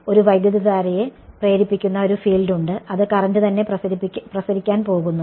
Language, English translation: Malayalam, There is a field that is coming in inducing a current that current itself is also going to radiate